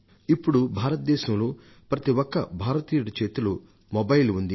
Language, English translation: Telugu, And the mobile phone has reached the hands of almost every Indian